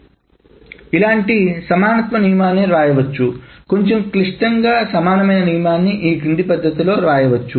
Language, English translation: Telugu, A little bit more complicated equivalence rule can be written in the following manner